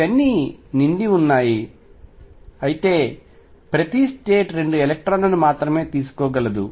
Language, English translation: Telugu, These are all filled; however, each state can take only 2 electrons